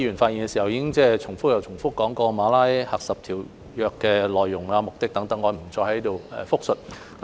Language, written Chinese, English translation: Cantonese, 剛才多位議員發言時重複提到《馬拉喀什條約》的內容和目的等，我不再在這裏複述。, During their speeches earlier several Members have repeatedly mentioned the content and purpose of the Marrakesh Treaty . I will not make a repetition here